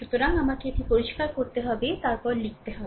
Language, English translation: Bengali, So, let me clean it, then I will write, right